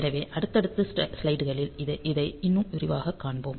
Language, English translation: Tamil, So, we will see it in more detail in the successive slides